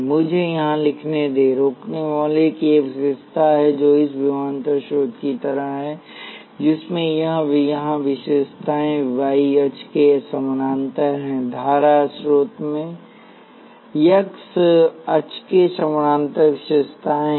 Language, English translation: Hindi, Let me write here, resistor has a characteristic which is like this; voltage source has this characteristics parallel to the y axis; current source has characteristics parallel to the x axis